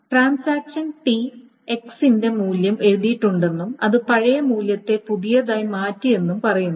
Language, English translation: Malayalam, So it essentially says that transaction T has written the value on X and it has replaced the old value with the new